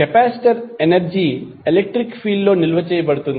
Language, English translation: Telugu, Capacitor is stored energy in the electric field